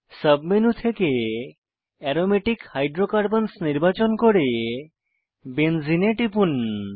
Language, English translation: Bengali, Lets select Aromatic Hydrocarbons and click on Benzene from the Submenu